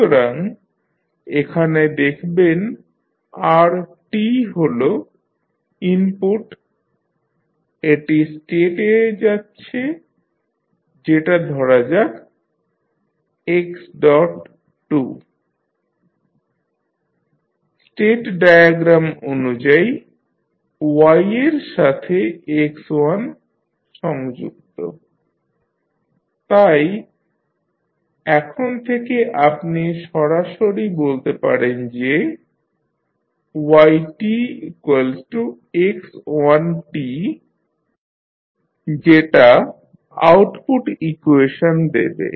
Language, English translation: Bengali, So, if you see here r is the input it is going into the state let say this is the x2 dot given in the state diagram x1 is connected to y, so from here you can straight away say that y is nothing but equal to x1 t, so this will give you the output equation